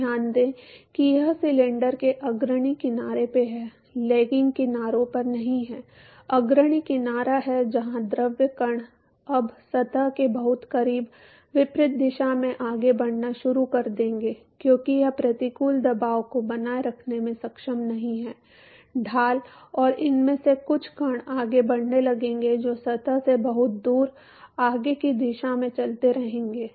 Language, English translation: Hindi, So, note that this is at the leading edge of the cylinder is not at the lagging edges is the leading edge where the fluid particles now very close to the surface will start moving in the reverse direction because it is not able to sustain the adverse pressure gradient and some of these particle will start moving which is far away from the surface will continue to move in the forward direction